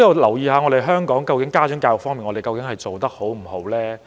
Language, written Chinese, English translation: Cantonese, 究竟香港在家長教育方面做得好不好？, Is parental education in Hong Kong good or not?